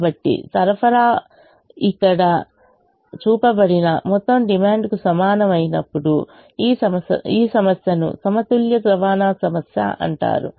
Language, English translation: Telugu, so when the total supply equals total demand, which is shown here, this problem is called a balanced transportation problem